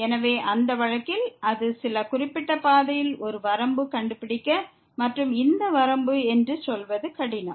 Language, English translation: Tamil, So, in that case it is difficult to find a limit along some particular path and saying that this is the limit